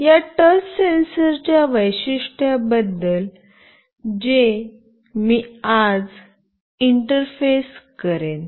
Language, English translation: Marathi, This is the touch sensor that we have used